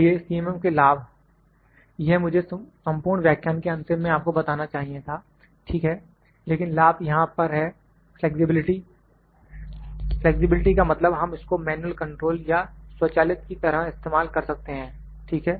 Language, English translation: Hindi, M, this I should have told you after completion of the whole lecture, ok, but advantages here are the flexibility, flexibility means we can use it manual or automatic, ok